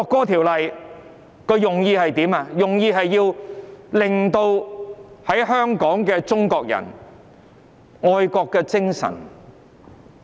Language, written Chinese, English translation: Cantonese, 《條例草案》的目的是要令在香港的中國人有愛國的精神。, The objective of the Bill is to instil patriotism in the Chinese people in Hong Kong